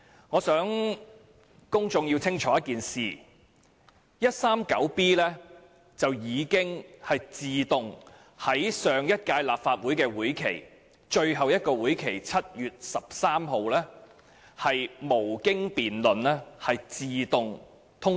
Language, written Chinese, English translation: Cantonese, 我想公眾弄清楚一件事，香港法例第 139B 章已經在上屆立法會的最後一次會議，即在7月13日會議上無經辯論自動獲得通過。, I would like the public to get one thing right Cap . 139B was automatically passed without debate at the last meeting of the last Legislative Council on 13 July